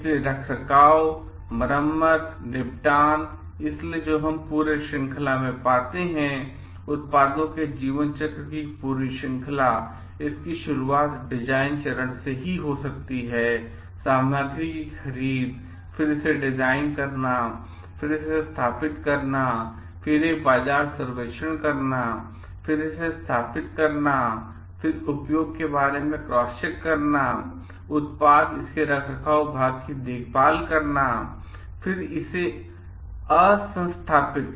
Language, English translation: Hindi, So, maintenance, repair, disposal so, what we find throughout the chain, the whole chain of the products life cycle, starting from it is design phase to its may be the material procurement, then getting it designed, then may be installing it, then before that doing a market survey, then installing it, then having a cross check about the use of the product, taking care of the maintenance part of it, then again de installation decommissioning